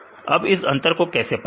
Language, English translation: Hindi, So, how to get the difference